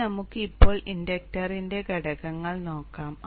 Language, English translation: Malayalam, Next, let us see the component of the inductor current